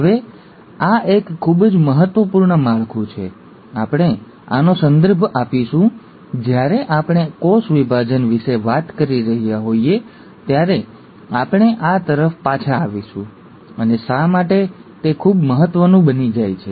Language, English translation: Gujarati, Now this is a very important structure, we will refer this to, we’ll come back to this when we are talking about cell division and why it becomes very important